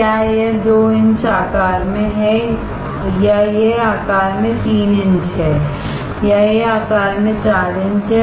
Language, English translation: Hindi, Is it 2 inch in size or is it 3 inch in size or is it 4 inch in size